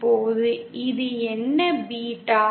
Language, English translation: Tamil, Now this what is this beta